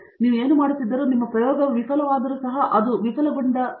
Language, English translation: Kannada, Whatever they do, even if your experiment is fail that, they should mention as fail